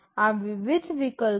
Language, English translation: Gujarati, These are the various options